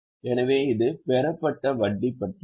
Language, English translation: Tamil, So, this is about interest received